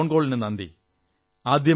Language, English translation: Malayalam, Thank you for your phone call